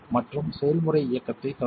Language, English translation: Tamil, And initiate the process run